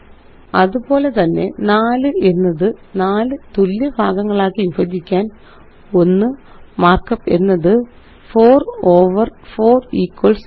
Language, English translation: Malayalam, Similarly to write 4 divided by 4 equals 1, the mark up is#160: 4 over 4 equals 1